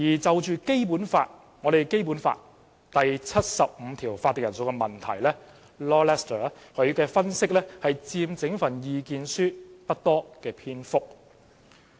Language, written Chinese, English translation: Cantonese, 就《基本法》第七十五條有關法定人數的問題 ，Lord LESTER 所作的分析佔整份意見書不多篇幅。, As for the quorum issue referred to in Article 75 of the Basic Law Lord LESTER did not devote many paragraphs of the entire submission to his analysis